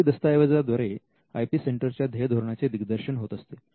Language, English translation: Marathi, Now, the policy document can spell out the mission statement of the IP centre